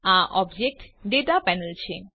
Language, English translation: Gujarati, This is the Object Data panel